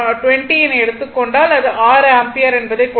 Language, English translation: Tamil, So, if you take 120 by 20 you will find it is 6 ampere right